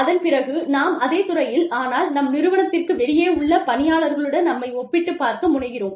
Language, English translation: Tamil, And, then, we also tend to compare ourselves, with people within the same industry, but outside our organization